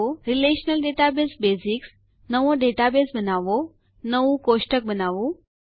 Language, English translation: Gujarati, Relational Database basics, Create a new database, Create a table